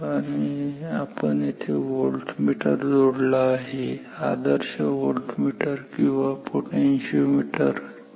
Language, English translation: Marathi, So, we have the voltmeter connected here an ideal voltmeter or a potentiometer ok